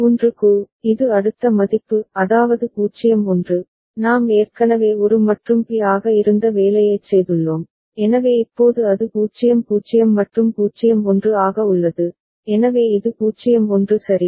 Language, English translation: Tamil, And for 1, it is the next value that is 0 1, we have already done the assignment earlier it was a and b, so now it is 0 0 and 0 1, so this is 0 1 ok